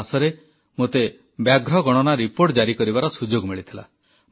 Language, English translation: Odia, Last month I had the privilege of releasing the tiger census in the country